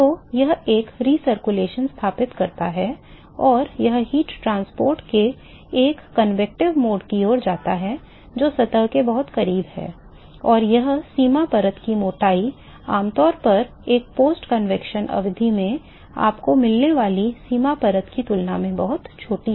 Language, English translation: Hindi, So, this sets up a recirculation and this leads to a convective mode of heat transport, very close to the surface not far from the surface and this boundary layer thickness is, typically much smaller than the boundary layer thickness that you would get in a post convection period